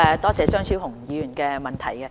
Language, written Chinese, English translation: Cantonese, 多謝張超雄議員的質詢。, I thank Dr Fernando CHEUNG for his question